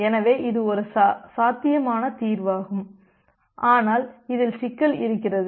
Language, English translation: Tamil, So, this is a possible solution, but the problem comes that this solution is not feasible